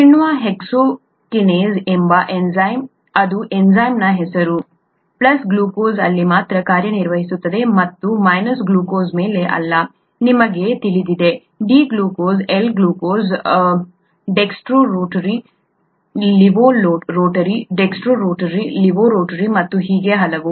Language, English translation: Kannada, The enzyme hexokinase, that’s the name of the enzyme, it can act only on glucose and not on glucose, you know, D glucose, L glucose, dextro rotary, leavo rotary, dextro rotary, leavo rotary and so on